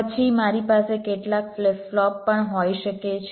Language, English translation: Gujarati, then i can also have some flip flops